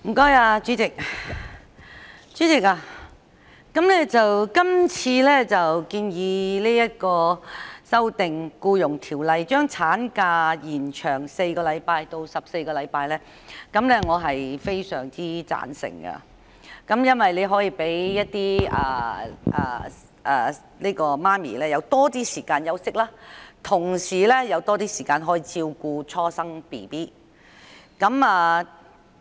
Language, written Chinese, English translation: Cantonese, 代理主席，對於今次建議修訂《僱傭條例》，把產假延長4周至共14周，我個人相當贊成，因這能讓母親有更多時間休息，也有更多時間照顧初生嬰兒。, Deputy President regarding the legislative proposal introduced to amend the Employment Ordinance to extend the statutory maternity leave by four weeks to 14 weeks in total I personally cannot agree more because new mothers will thus be given more time to recover from childbirth and take care of their newborns